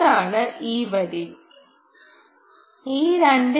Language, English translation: Malayalam, that is this line, this two point two